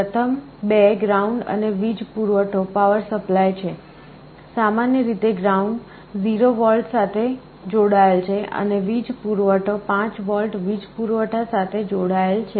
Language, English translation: Gujarati, The first 2 are ground and power supply, typically the ground is connected to 0V and power supply is connected to 5V power supply